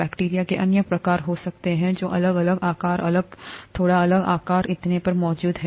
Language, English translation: Hindi, There could be other kinds of bacteria that are present with different shapes, different, slightly different size, and so on so forth